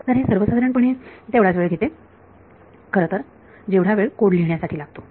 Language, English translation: Marathi, So, this actually takes almost as much time as code writing in the first place ok